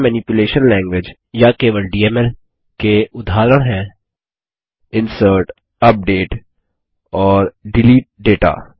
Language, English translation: Hindi, Examples of Data Manipulation Language, or simply DML are: INSERT, UPDATE and DELETE data